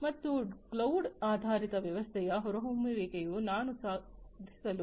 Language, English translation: Kannada, And the emergence of cloud based system will also improve upon what we have been able to achieve